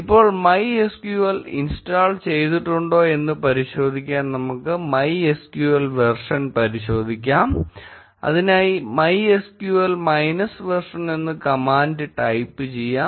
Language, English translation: Malayalam, Now, to check whether MySQL has indeed been installed, let us check the MySQL version by typing the command MySQL minus minus version